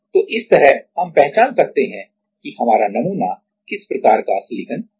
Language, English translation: Hindi, So, like this we can identify which kind of silicon wafers our sample is